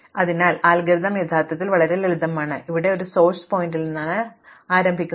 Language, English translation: Malayalam, So, the algorithm is actually remarkably simple, so you start from a source vertex s